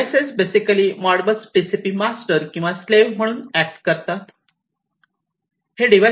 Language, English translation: Marathi, So, these basically would be the Modbus TCP masters or they can even act as the slaves